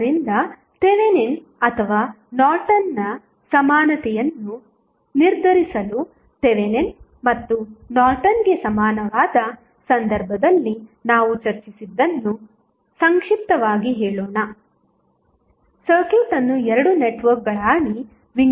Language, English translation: Kannada, So, now, let us summarize what we discussed in case of Thevenin's and Norton's equivalent to determine the Thevenin's or Norton's equivalent the circuit can divided into 2 networks